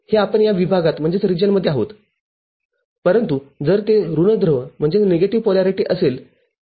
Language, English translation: Marathi, This we are in this region, but if it is negative polarity